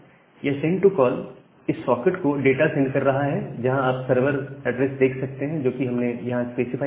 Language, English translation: Hindi, So, this send to call is sending the data to the particular socket with this server address which we are specifying here